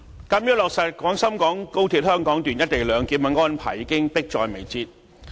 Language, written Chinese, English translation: Cantonese, 主席，落實廣深港高鐵香港段"一地兩檢"的安排，已經迫在眉睫。, President the implementation of the co - location arrangement at the Hong Kong Section of the Guangzhou - Shenzhen - Hong Kong Express Rail XRL is already imminent